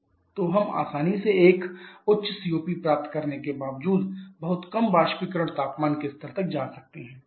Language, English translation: Hindi, So, we can easily go to much lower evaporator temperature level despite getting a reasonably high COP